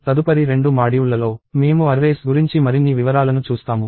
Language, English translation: Telugu, So, in the next two modules, we will see more details about arrays